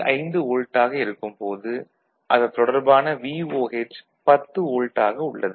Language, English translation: Tamil, 5 volt and if we go back so, this is your, the corresponding VOH the 10 volt it is the almost 4